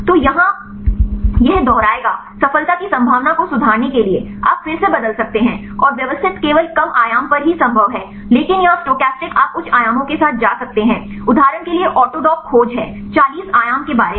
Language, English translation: Hindi, So, here this will repeat to improve the chance of success you can change again, and the systematic is feasible only at the lower dimension right, but here the stochastic you can go with the higher dimensions right mainly for example, autodock is about forty dimension search